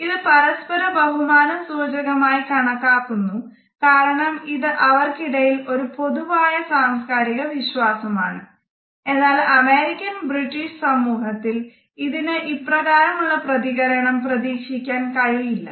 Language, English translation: Malayalam, It is understood as a sign of mutual respect because this is a commonly shared cultural belief; however, one cannot expect the same reaction in an American or a British society